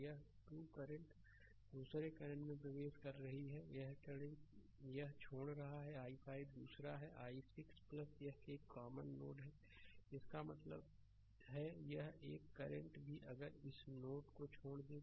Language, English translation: Hindi, This 2 current are entering other current is leaving one is i 5 another is i 6 plus this ah this is a common node right; that means, another current also if you take leaving this node